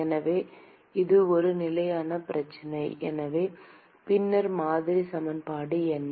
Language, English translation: Tamil, So, it is a steady state problem, then what is the model equation